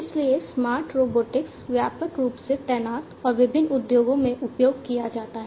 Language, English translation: Hindi, So, smart robotics is widely deployed and used in different industries